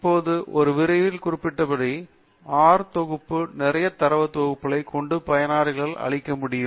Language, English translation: Tamil, Now, as I had mentioned during my lecture, the R package comes with a lot of data sets that the user can clear on with